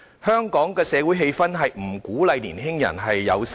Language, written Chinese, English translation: Cantonese, 香港的社會氣氛並不鼓勵年青人生育。, The social atmosphere of Hong Kong gives no incentive for young people to have children